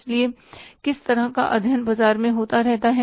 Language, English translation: Hindi, So, these studies continue taking place in the market